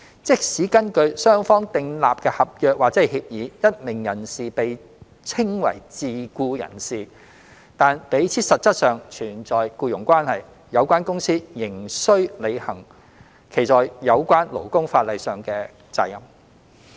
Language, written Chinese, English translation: Cantonese, 即使根據雙方訂立的合約或協議，一名人士被稱為自僱人士，但彼此實質上存在僱傭關係，有關公司仍需履行其在有關勞工法例下的責任。, Even if a person is described as a self - employed person under a contract or agreement between the two parties but there is the presence of an employment relationship between the two the relevant company still has to fulfil its obligations under the relevant labour laws